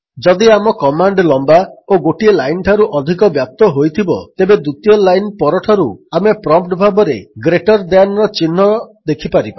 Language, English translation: Odia, If our command is long and it spans for more than one line then from the second line onwards we can see a greater than sign gt as the prompt